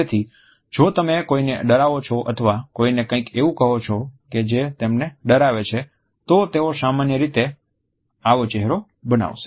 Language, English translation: Gujarati, So, if you scare someone or tell someone something that scares them, they will usually make this face